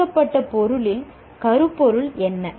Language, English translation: Tamil, What is the theme in the presented material